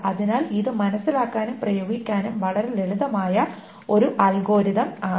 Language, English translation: Malayalam, It's not very difficult to understand what the algorithm is